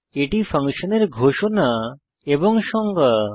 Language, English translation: Bengali, This is the declaration definition of the function